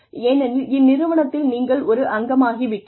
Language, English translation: Tamil, Now, that you have become a part of the organization, you are in